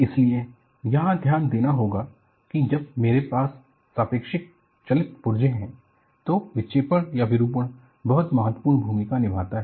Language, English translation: Hindi, So, the focus here is, when I have relative moving parts, the deflection or deformation plays a very important role